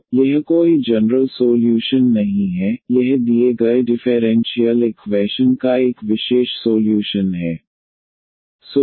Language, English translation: Hindi, So, this is no more a general solution, this is a particular solution of the given differential equation